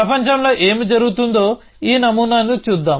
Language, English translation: Telugu, So, let us look at this model of what is happening in the world